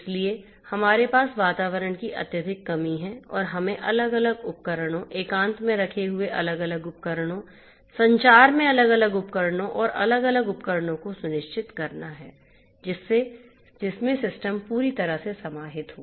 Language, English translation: Hindi, So, we have a highly constrained kind of environment and we have to ensure the protection of the different devices, the different devices in isolation, the different devices in communication and the different devices that comprise the system as a whole